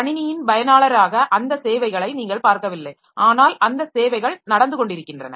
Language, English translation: Tamil, So, as an user of the system, so we do not see those services but those services are going on